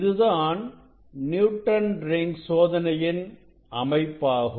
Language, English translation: Tamil, now I will demonstrate the experiment Newton s Rings Experiment